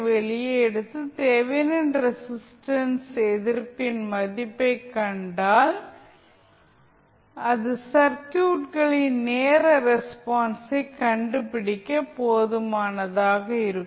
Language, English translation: Tamil, So, that means that if you take out the capacitor and find the value of Thevenin resistance, that would be sufficient to find the time response of the circuit